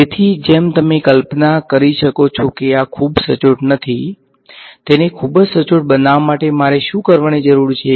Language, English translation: Gujarati, So, as you can imagine this will not be very very accurate, to make it very accurate what do I need to do